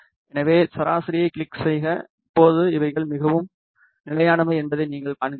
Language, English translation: Tamil, So, click on the average and and now you see that the things are more stable